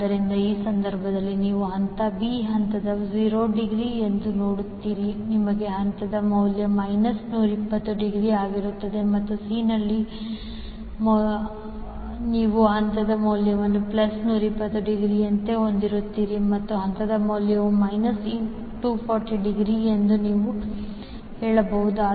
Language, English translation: Kannada, So, in this case you will see phase value is 0 degree in phase B, you will have phase value minus 120 degree and in C you will have phase value as plus 120 degree, and you can say phase value is minus 240 degree